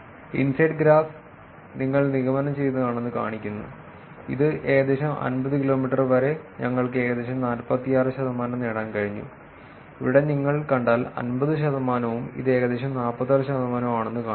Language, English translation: Malayalam, The inside graph is just showing you assumed immersion which shows that about 50 kilometers we were able to get about 46 percent, where if you see here, 50 percent and if this is about 46 percent